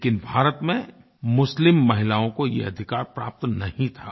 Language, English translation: Hindi, But Muslim women in India did not have this right